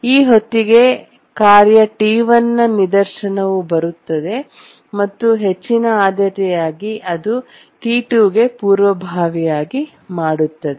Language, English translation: Kannada, By that time the task T1 instance arrives being a higher priority, it preempts T2